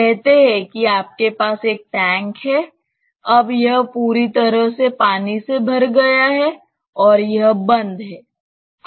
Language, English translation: Hindi, Say you have a tank now it is completely filled with water and it is closed